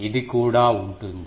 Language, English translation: Telugu, This also will there